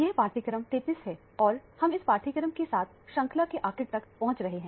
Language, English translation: Hindi, This is module 33 and we are approaching almost the end of the course with this module